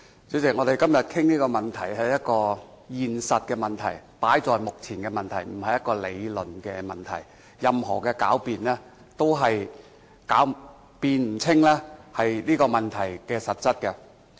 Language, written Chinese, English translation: Cantonese, 主席，我們今天討論這個問題，是一個現實問題，放在眼前的問題，不是一個理論問題，任何狡辯，都是辯不清這個問題的實質。, President the problem we discuss today is a very real problem . It is a problem right before our very eyes not a theoretical one . No sophistry can blur the true nature of this problem